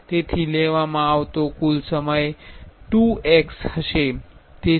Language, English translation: Gujarati, So, the total time taken will be 2 x